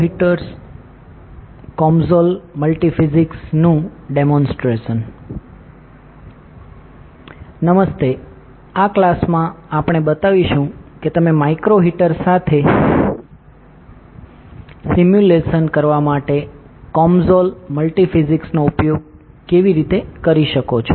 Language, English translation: Gujarati, Hi, in this class we will be showing how can you use the COMSOL Multiphysics to perform simulations with a micro heater, right